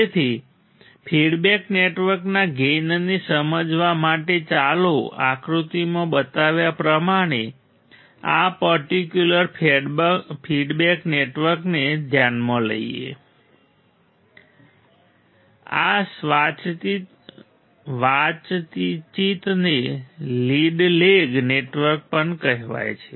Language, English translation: Gujarati, So, to understand the gain of the feedback network; to understand the gain of the feedback network let us consider this particular feedback network as shown in figure, this conversation is also called lead lag network lead lag network